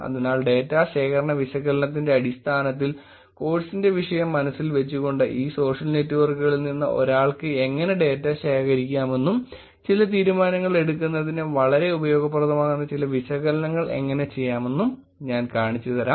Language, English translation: Malayalam, So, keeping the topic of the course in mind in terms of the data collection analysis, let me show you how one can actually collect the data from these social networks and actually do some analysis which could be very useful for making some decisions